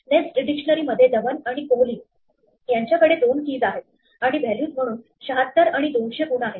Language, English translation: Marathi, In a nested dictionaries, we have two keys Dhawan and Kohli with scores 76 and 200 as the values